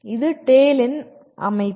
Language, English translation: Tamil, This is the structure of the TALE